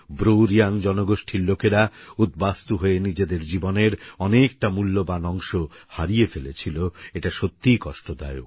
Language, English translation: Bengali, It's painful that the BruReang community lost a significant part of their life as refugees